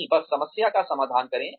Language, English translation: Hindi, No, just address the issue